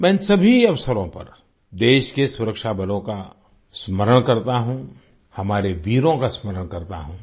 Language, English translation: Hindi, On all these occasions, I remember the country's Armed Forces…I remember our brave hearts